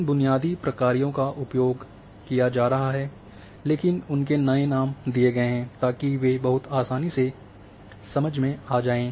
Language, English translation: Hindi, These basic functions are being used, but their new names had been given so that they become much easily understable